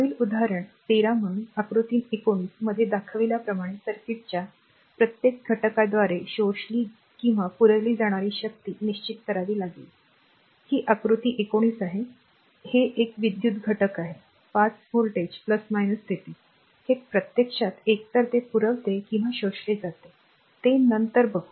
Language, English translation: Marathi, Next example 13 so, you have to determine the power absorbed or supplied by each component of the circuit as shown in figure 19, this is figure 19 this is one electrical element is 5 voltage give plus minus, it actually either supply it or a absorbed we will see later